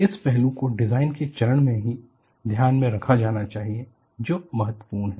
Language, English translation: Hindi, This aspect needs to be taken into account at that design phase itself; that is what is important